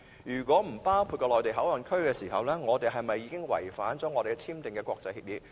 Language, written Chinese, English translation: Cantonese, 如果不包括內地口岸區，我們是否違反已簽訂的國際協議？, If not does it mean that we have violated the international agreements signed?